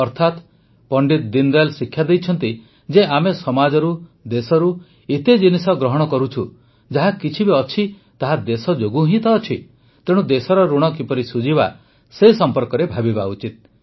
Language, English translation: Odia, " That is, Deen Dayal ji taught us that we take so much from society, from the country, whatever it be, it is only because of the country ; thus we should think about how we will repay our debt towards the country